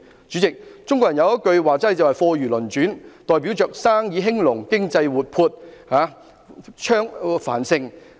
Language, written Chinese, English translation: Cantonese, 主席，中國人有句說話是"貨如輪轉"，代表着生意興隆，經濟活潑、繁盛。, President there is a Chinese saying Goods rotate fast like a wheel which means business is booming and economy is thriving and flourishing